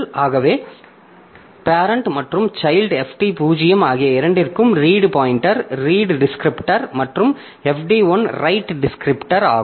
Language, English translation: Tamil, So, for both the ends parent and child, FD 0 is the read pointer, read descriptor and FD1 is the right descriptor